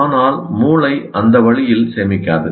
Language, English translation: Tamil, But the brain doesn't store that way